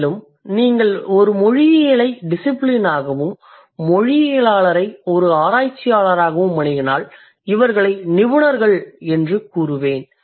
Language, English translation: Tamil, And if you approach linguistics as a discipline and linguist as a researcher, I would say these are the specialists